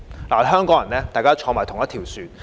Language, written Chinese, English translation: Cantonese, 作為香港人，大家同坐一條船。, As Hong Kong people all of us are in the same boat